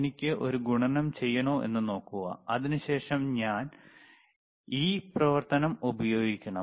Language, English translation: Malayalam, See if I want to do a multiplication, then I have to use this operation, and then I can I can see if